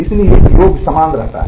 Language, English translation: Hindi, So, the sum remains same